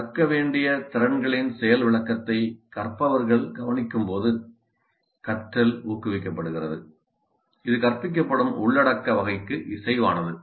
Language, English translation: Tamil, Learning is promoted when learners observe a demonstration of the skills to be learned that is consistent with the type of content being taught